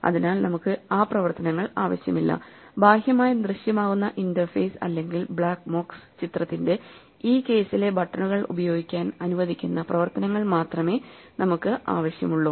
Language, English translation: Malayalam, So we do not want such operations, we only want those operations which the externally visible interface or the buttons in this case of the black box picture allow us to use